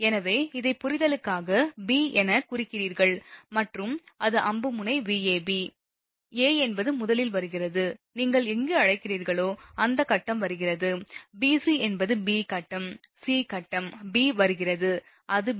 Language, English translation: Tamil, So, this you mark as b for your understanding and it is arrow tip Vab, a is first coming b, wherever first your what you call that, phase is coming bc to bc means b phase, c phase b is coming it is b